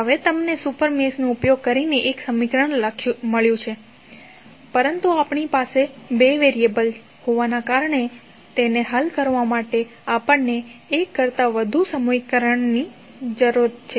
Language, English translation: Gujarati, Now, you have got one equation using super mesh but since we have two variables we need more than one equation to solve it